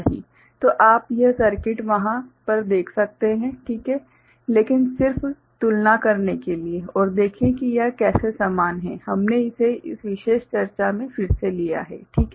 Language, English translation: Hindi, So, you can see this circuit over there ok, but just to compare and see how it is similar we have taken it again in this particulars discussion, right